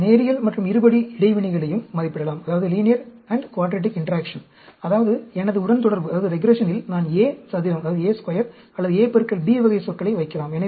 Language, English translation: Tamil, You can also estimate linear and quadratic interaction; that means, I can put a A square or A into B type of terms in my regression